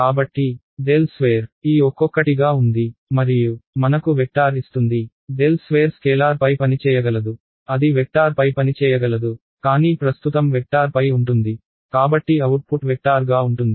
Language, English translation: Telugu, So, del squared will act on each of these guys one by one and give me a vector ok, del squared can act on the scalar it can act on a vector, but right now its acting on the vector so output will be a vector